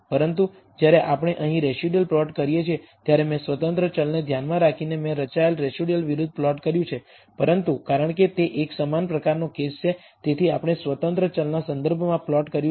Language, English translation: Gujarati, But when we do the residual plot here we have plotted the residual versus the I have plotted with respect to the independent variable, but because it is a univariate case, we have plotted with respect to the independent variable